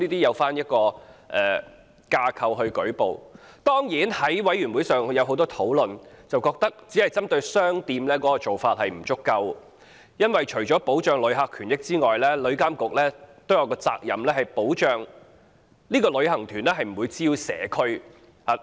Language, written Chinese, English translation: Cantonese, 《旅遊業條例草案》委員會曾就此問題進行詳細討論，覺得只針對商店的做法不足夠，因為除了保障旅客權益之外，旅監局還有責任保障旅行團不會滋擾社區。, The Bills Committee on Travel Industry Bill has discussed this problem in detail and concluded that the approach of only targeting at shops was not adequate because apart from protecting the rights and interests of visitors TIA was also duty - bound to ensure that tour groups would not cause nuisances to local communities